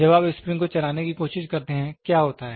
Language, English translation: Hindi, When you try to move the spring, what happens